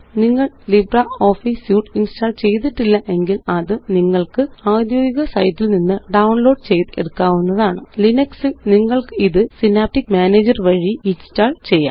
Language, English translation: Malayalam, If you have not installed LibreOffice Suite, then you can download it from the official website: In linux you can install it from the synaptic package manager